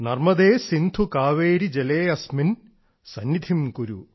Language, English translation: Malayalam, Narmade Sindhu Kaveri Jale asmin sannidhim kuru